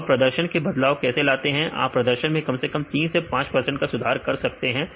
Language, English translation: Hindi, So, then how they change the performance; you can improve the performance at least 3 to 5 percent